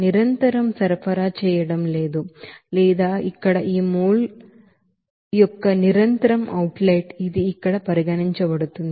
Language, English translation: Telugu, There is no continuously supplying or that is continuously outlet of that mole here, it is considered there